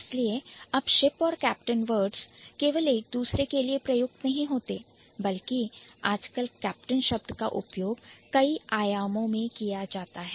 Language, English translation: Hindi, So, ship and captain, they are not exclusively available to each other, rather the word captain has been used in multiple dimensions nowadays